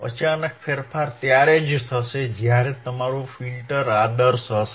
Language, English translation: Gujarati, Sudden change will be there only when your filter is ideal your filter is ideal